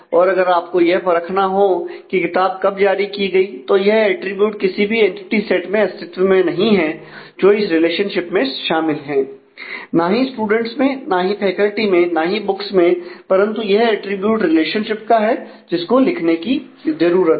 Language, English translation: Hindi, So, this is a attribute which does not exist in any of the entity sets that are involved in this relationship neither in students or faculty nor in books, but this is a attribute of the relationship which needs to be specified